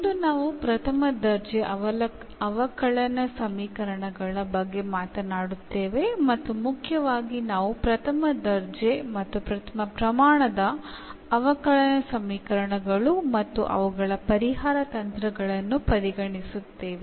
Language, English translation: Kannada, Today will be talking about this First Order Differential Equations, and mainly we will consider first order and the first degree differential equations and their solution techniques